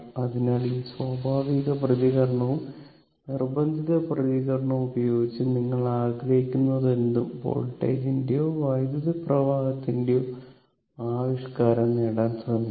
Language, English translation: Malayalam, So, using this natural response and forced response, so we will try to obtain the your what you call expression of the your voltage or current whatever you want